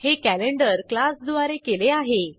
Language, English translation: Marathi, This is done using the class Calendar